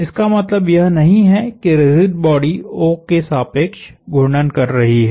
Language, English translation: Hindi, That does not mean the rigid body is rotating about O